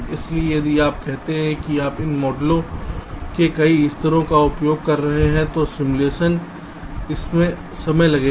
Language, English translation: Hindi, so so if you say that you are using multiple levels of these models, then simulation it will take time